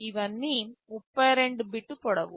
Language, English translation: Telugu, All of these are 32 bit long